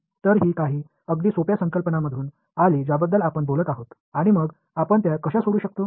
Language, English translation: Marathi, So, that comes from some very simple concepts which we will talk about and also then how do we solve them